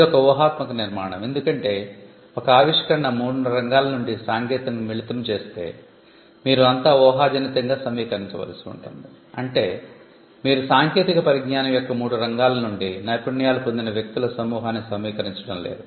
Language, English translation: Telugu, So, it is a hypothetical construct because if the invention combines technology from three fields, then you will have to assemble hypothetically that is you do not actually do that assemble a group of people who will have taken a skills from all the three fields of technology